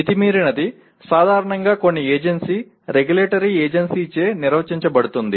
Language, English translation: Telugu, What is that excessive is normally defined by some agency, regulatory agency